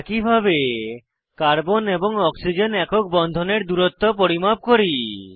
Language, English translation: Bengali, Similarly, lets measure the carbon and oxygen single bond distance